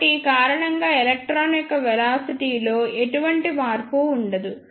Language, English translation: Telugu, So, because of this there will be no change in the velocity of this electron